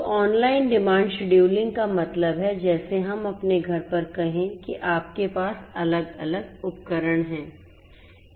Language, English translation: Hindi, So, online demand scheduling means like let us say at your home you have different different appliances